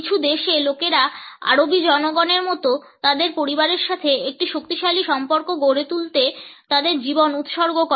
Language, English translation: Bengali, In some countries people dedicate their lives to build a strong relationship with their families like the Arabic people